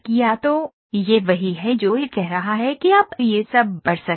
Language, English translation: Hindi, So, this is what is it is telling to say you can read this all